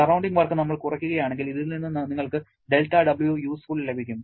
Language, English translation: Malayalam, If we subtract surrounding work, you are going to get this del W useful from this